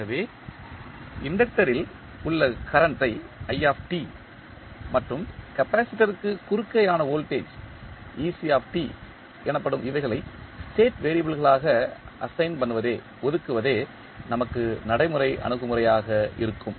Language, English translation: Tamil, So, the practical approach for us would be to assign the current in the inductor that is i t and voltage across capacitor that is ec t as the state variables